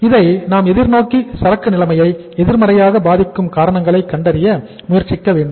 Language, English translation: Tamil, We should look forward and try to find out the reasons which may affect the inventory situation negatively